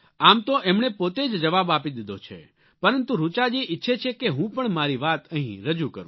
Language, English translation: Gujarati, Although she herself has given the answer to her query, but Richa Ji wishes that I too must put forth my views on the matter